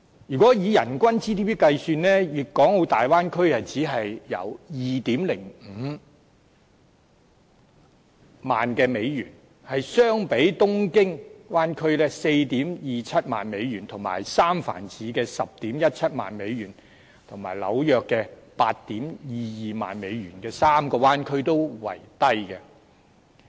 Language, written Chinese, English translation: Cantonese, 如果以人均 GDP 計算，大灣區只有 20,500 美元，相比東京灣區 42,700 美元和三藩市的 101,700 美元和紐約的 82,200 美元的3個灣區為低。, In terms of GDP per capita it was only US20,500 for the Bay Area which was lower than the other three bay areas namely Tokyo Bay Area whose GDP per capita was US42,700 San Francisco Bay Area whose figure was US101,700 and New York Bay Area whose figure was US82,200